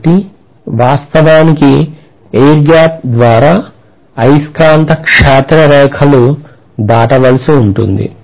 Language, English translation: Telugu, So I am going to have to actually pass the magnetic field lines through the air gap